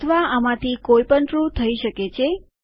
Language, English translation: Gujarati, or either of these could be true to make this